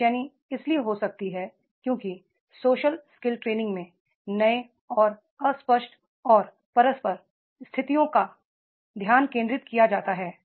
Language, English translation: Hindi, Now un easiness can be because of the social skills training focusing on new and unclear and intercultural situations are there